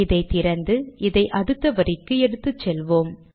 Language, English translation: Tamil, Lets take this to the next line